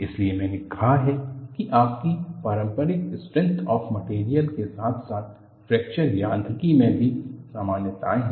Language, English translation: Hindi, That is why; I said it has commonalities between your conventional strength of materials, as well as in Fracture Mechanics